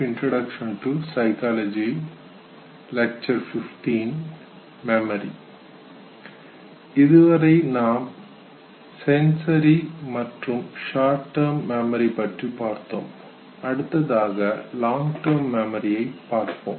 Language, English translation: Tamil, Now that we have discuss sensory and short term memory, we would now exclusively focus on long term memory